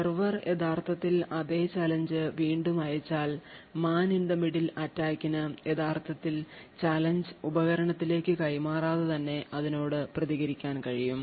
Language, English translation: Malayalam, Now if the server actually sent the same challenge again, the man in the middle the attacker would be able to actually respond to that corresponding challenge without actually forwarding the challenge to the device